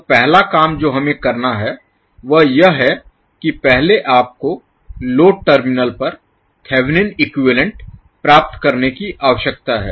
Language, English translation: Hindi, So first task what we have to do is that first you need to obtain the Thevenin equivalent at the load terminals